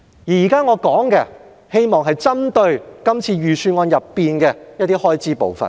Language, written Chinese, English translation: Cantonese, 我現在談的是希望針對今年預算案的一些開支部分。, Now I am going to focus my speech on certain expenditure items of this years Budget